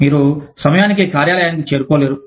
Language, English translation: Telugu, You just cannot reach the office, on time